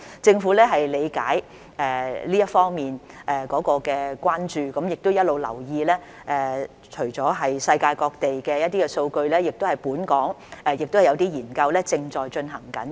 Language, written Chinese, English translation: Cantonese, 政府理解這一方面的關注，也一直留意，除了世界各地的數據，本港也有些研究正在進行。, The Government understands this concern and has been paying attention to the situation . In addition to data from around the world there are also some studies being conducted in Hong Kong